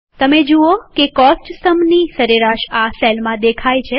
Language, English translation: Gujarati, You see that the average of the Cost column gets displayed in the cell